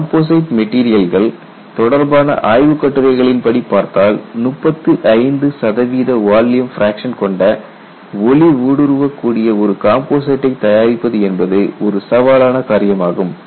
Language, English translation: Tamil, In fact, if it look at composite literature, preparing a composite which is transparent with 35 percent volume, fraction is a challenge